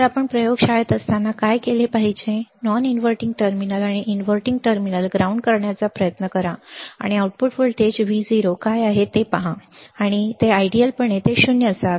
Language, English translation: Marathi, So, what you would should do when you are in the laboratory is, try to ground the non inverting terminal and the inverting terminal, and see what is the output voltage Vo, and ideally it should be 0